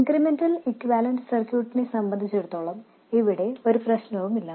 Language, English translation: Malayalam, As far as the incremental equivalent circuit is concerned, there is no problem at all